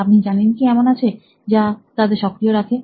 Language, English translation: Bengali, You know, what really turns them on